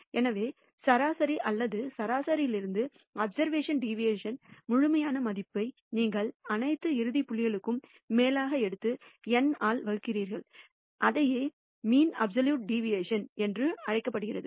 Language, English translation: Tamil, So, deviation of the observation from the mean or the median, you take the absolute value of this deviation sum over all the end points and divide by N and that is what is called the mean absolute deviation